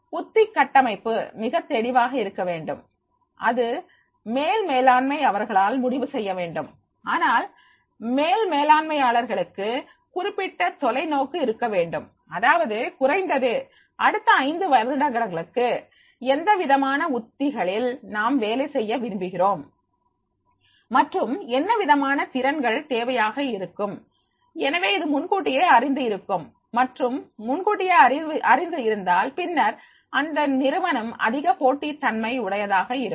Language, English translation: Tamil, The strategic framework, right, that should be very clear that is to be decided by the top management, but top management should have that particular vision that is in the next five as minimum that is the what type of the strategies that will like to work and what have the competencies and skills which will be required so it is known in advance and if it is known in advance then the organization will be more competitive then contingent approach contingent approach is that is a dependency relationship between the training and business strategy of the firm